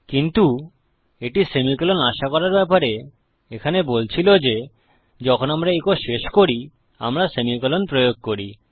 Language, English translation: Bengali, But what it was saying about expecting a semicolon was that when we end an echo, we use a semicolon